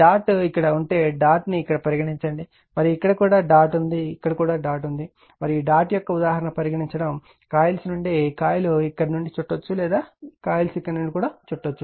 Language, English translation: Telugu, Suppose if dot is here here you have make the dot and here also dot is there here also dot is there here also dot is there right and your your illustration of dot and coils are wound here right or the coils are wounds here